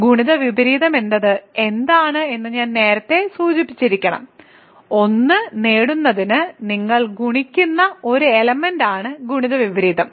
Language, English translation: Malayalam, What is multiplicative inverse I should have mentioned that earlier, multiplicative inverse is an element that you multiply to get 1